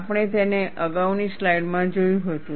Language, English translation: Gujarati, We had seen it in the previous slide